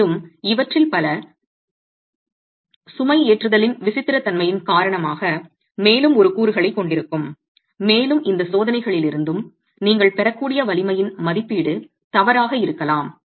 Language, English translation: Tamil, And many of these would have a further component because of the eccentricity of the loading and can foul with the estimate of the strength that you are able to get from any of these tests